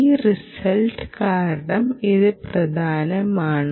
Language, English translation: Malayalam, this is important because of this result